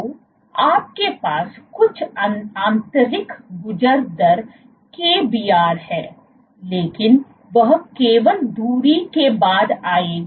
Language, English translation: Hindi, So, you have some intrinsic passing rate kbr, but that will only come to play after you have the distance